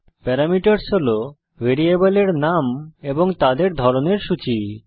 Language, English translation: Bengali, parameters is the list of variable names and their types